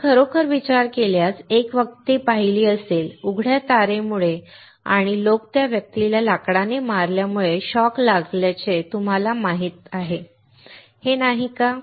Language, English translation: Marathi, If you really think of you may have seen a person; you know getting shock because of the open wire and people hitting that person with a wood; is it not